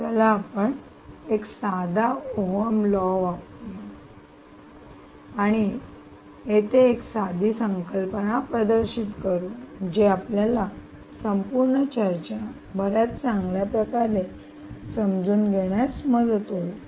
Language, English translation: Marathi, let us do some simple ohms law and demonstrate a simple concept here which will allow you to understand the whole discussion quite well